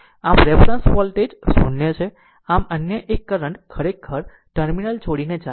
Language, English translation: Gujarati, So, reference voltage is 0 so, another current actually leaving this terminal